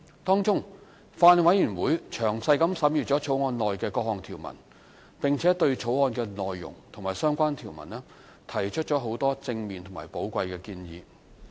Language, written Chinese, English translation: Cantonese, 當中，法案委員會詳細審閱《條例草案》的各項條文，並對當中的內容及相關條文提出很多正面和寶貴的建議。, During the scrutiny the Bills Committee carefully examined the provisions of the Bill and gave a lot of positive and invaluable advice on both the content and the provisions of the Bill